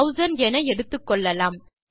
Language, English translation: Tamil, There you go up to 6000